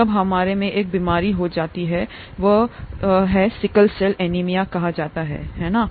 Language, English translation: Hindi, Then we get a disease, we get what is called sickle cell anaemia, right